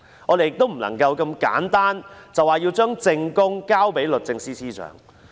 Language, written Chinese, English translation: Cantonese, 我們不應如此簡單地說要把證供交給律政司司長。, We should not say simplistically that the evidence should be handed to the Secretary for Justice